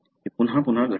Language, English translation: Marathi, It happens again and again